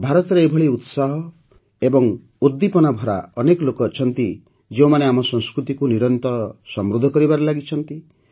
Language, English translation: Odia, There is no dearth of such people full of zeal and enthusiasm in India, who are continuously enriching our culture